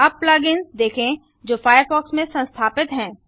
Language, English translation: Hindi, Plug ins integrate third party programs into the firefox browser